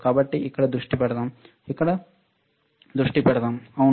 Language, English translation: Telugu, So, so let us focus here, let us focus here, all right